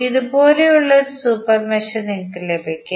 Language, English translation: Malayalam, You will get one super mesh like this, right